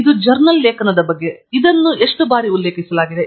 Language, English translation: Kannada, This is about a journal article; how many times has it been cited